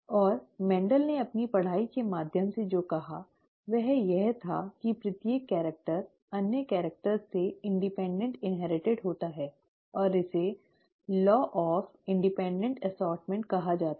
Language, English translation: Hindi, And what Mendel said through his studies was that each character is inherited independent of the other characters, and this is called the law of independent assortment